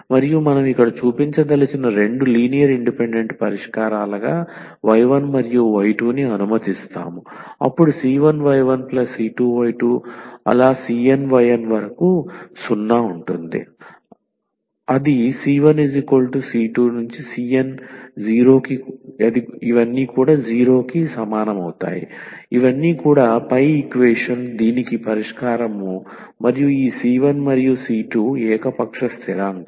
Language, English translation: Telugu, And we let y 1 and y 2 be any 2 linearly independent solutions what we want to show here then the c 1 y 1 and c 2 y 2 is also a solution of the above equation and this c 1 and c 2 are arbitrary constant